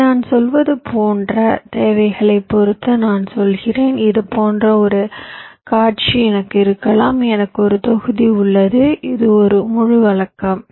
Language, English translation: Tamil, here i am saying, depending on the requirements, like i may have a scenario like this, that i have a block, this is, this is a full custom